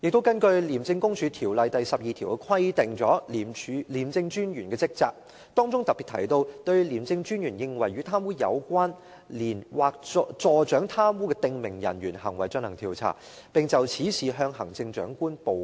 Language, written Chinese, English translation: Cantonese, 此外，《廉政公署條例》第12條就廉政專員的職責作出規定，當中特別提到："對廉政專員認為與貪污有關連或助長貪污的訂明人員行為進行調查，並就此事向行政長官報告"。, Moreover section 12 of the ICAC Ordinance specifically provides for the duties of the ICAC Commissioner which include to investigate any conduct of a prescribed officer which in the opinion of the Commissioner is connected with or conducive to corrupt practices and to report thereon to the Chief Executive . Deputy President everyone knows that the Chief Executive is the target of an investigation . What should be done in this case?